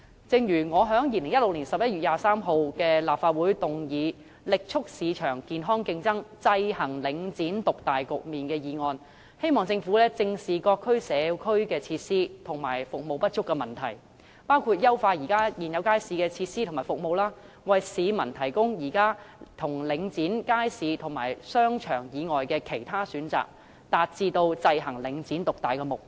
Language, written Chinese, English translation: Cantonese, 正如我在2016年11月23日的立法會會議上提出"力促市場健康競爭，制衡領展獨大局面"的議案，希望政府正視各區社區設施和服務不足的問題，包括優化現有街市的設施和服務，為市民提供現時領展街市和商場以外的其他選擇，達致制衡領展獨大的目標。, As I said in moving the motion on Vigorously promoting healthy market competition to counteract the market dominance of Link REIT at the Legislative Council meeting on 23 November 2016 I hope the Government will squarely address the lack of community facilities and services in various districts including enhancing the facilities and services of the existing markets thus providing members of the public with options other than the present markets and shopping malls under Link REIT with a view to achieving the objective of counteracting the market dominance of Link REIT